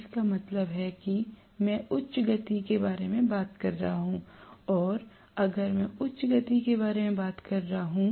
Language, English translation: Hindi, That means I am talking about higher speed and if I am talking about higher speed